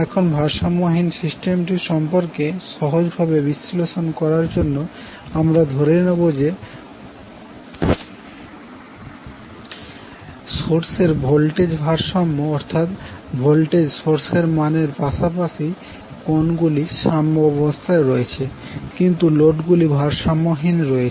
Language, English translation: Bengali, Now to simplify the analysis related to unbalanced system in this particular session we will assume that the source is balanced means the voltages, magnitude as well as angle are as per the balanced voltage source, but the load is unbalanced